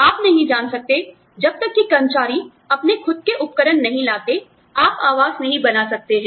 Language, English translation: Hindi, You cannot, you know, unless the employee, brings their own equipment, you can make accommodation